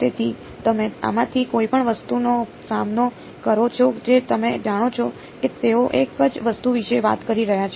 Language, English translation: Gujarati, So, you encounter any of these things you know they are talking about the same thing ok